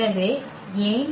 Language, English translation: Tamil, So, why so